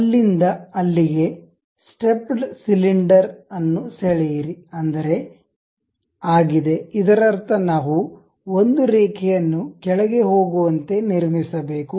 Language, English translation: Kannada, From there to there, draw it is a stepped cylinder that means, we have to construct a line goes down, from there again goes down, click ok